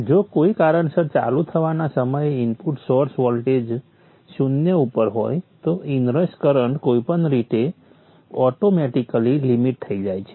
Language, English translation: Gujarati, If by chance that at the point in time of turn on the input source voltage is at zero then the inrush current is anyway automatically limited